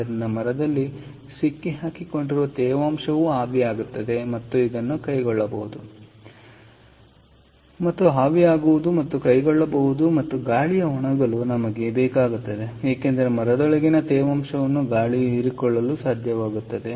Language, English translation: Kannada, ok, we need the air to be hot so that the moisture trapped in the timber can evaporate and be carried out by the and can evaporate and be carried out, and we need the air to be dry, because the air should be able to absorb the moisture that is inside the timber